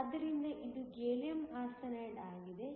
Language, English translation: Kannada, So, this is Gallium Arsenide